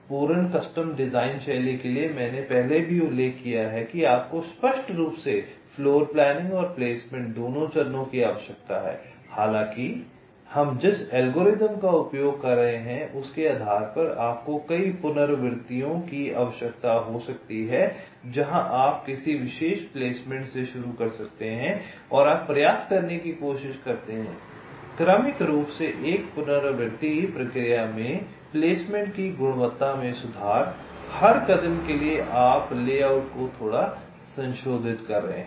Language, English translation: Hindi, i mentioned earlier also that explicitly you require both the floorplanning and the placement steps, that, however, depending on the algorithm that we are using, you may need several iterations, where you may start with a particular placement and you try to successively improve the quality of the placement in an iterative process, for a step